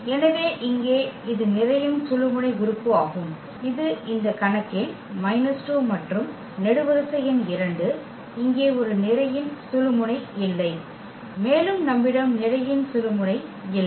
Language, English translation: Tamil, So, here this is the pivot element which is minus 2 in this case and the column number two does not have a pivot here also we do not have pivot